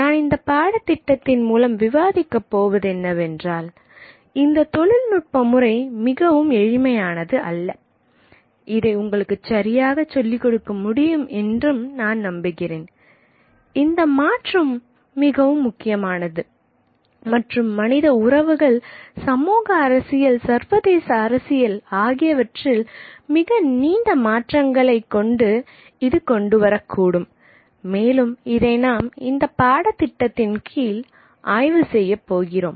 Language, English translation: Tamil, What I am going to argue through this course and hopefully be able to communicate to you is that this change is extremely significant and can bring very far reaching changes in human relationships, society, politics, international politics, which is something that we are going to explore in this course